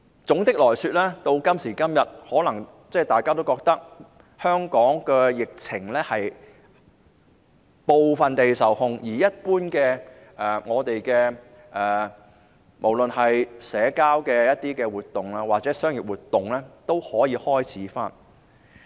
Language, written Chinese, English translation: Cantonese, 總的來說，今時今日，大家可能都覺得香港的疫情已經部分受控，無論是一般的社交活動或是商業活動，都可以開始恢復。, Generally speaking we may consider that the epidemic in Hong Kong has been partially under control to this date such that ordinary social activities or commercial activities can start to resume